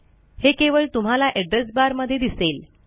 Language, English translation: Marathi, And,its just in your address bar